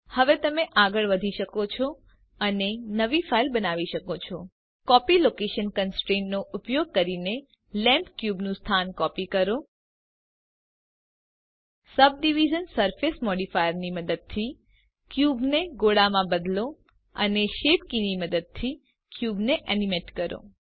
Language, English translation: Gujarati, Now you can go ahead and create a new file using Copy Location Constraint, copy the location of the cube to the lamp using the Subdivision Surface modifier, change the cube into a sphere and animate the cube using shape keys